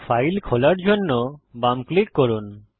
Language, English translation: Bengali, Left click to open File